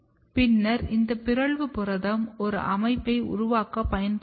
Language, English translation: Tamil, And then this mutant protein was used to develop system, which can be used here